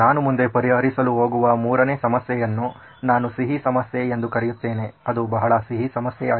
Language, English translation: Kannada, The 3rd problem that I am going to cover is a sweet problem as I call it, it’s a very sweet problem